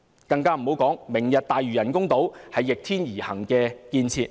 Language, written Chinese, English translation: Cantonese, 再者，"明日大嶼"人工島是逆天而行的建設。, Moreover the Lantau Tomorrow artificial islands are structures built against Heavens will